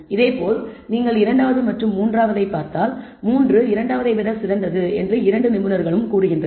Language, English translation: Tamil, Similarly if I look at the data point 1 and 3 expert 1 says it is better 3 is better than 1, expert 2 also says 3 is better than 1